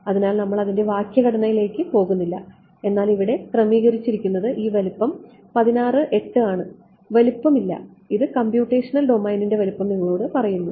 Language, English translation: Malayalam, So, we would not get into syntax, but what is being set over here this size is 16 8 no size this is telling you the size of the computational domain